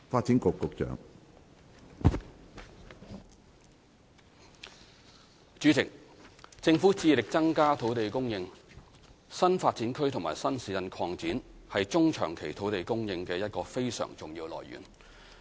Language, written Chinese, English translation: Cantonese, 主席，政府致力增加土地供應，新發展區及新市鎮擴展是中長期土地供應的一個非常重要來源。, President the Government strives to increase land supply . New Development Areas NDAs and extensions of new towns are very important sources of land supply in the medium and long term